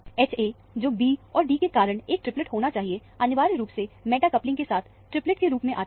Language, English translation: Hindi, H a, which should be a triplet because of b and d, essentially comes as a triplet with a meta coupling